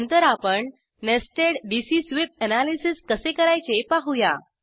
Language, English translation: Marathi, Next we will see how to do nested dc sweep analysis